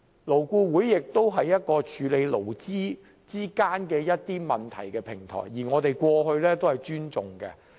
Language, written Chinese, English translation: Cantonese, 勞顧會是處理勞資問題的平台，而我們過往亦對其表示尊重。, LAB is a platform for addressing labour issues and we did respect it in the past